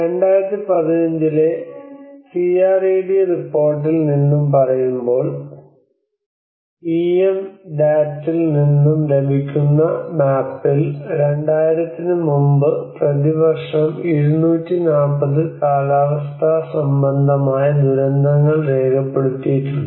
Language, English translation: Malayalam, When we say about from the CRED report 2015, this is what the map you get the EM DAT has recorded about 240 climate related disasters per year before 2000